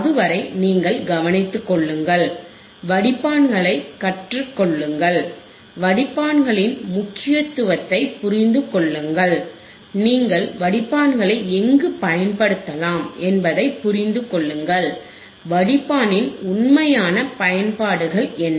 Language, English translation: Tamil, Till then you take care, learn the filters, the understand the importance of filters, understand where you can use the filters, what are the real applications of the filters